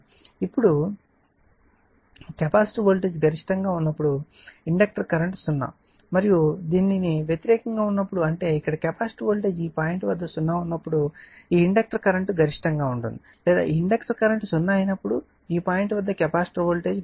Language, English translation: Telugu, So, therefore, since when the now when the capacitor voltage is maximum the inductor current is 0 and vice versa when; that means, when capacitor voltage here it is this point 0 in this your what you call this inductor current is maximum or when inductor current is 0 this point capacitor voltage is maximum vice versa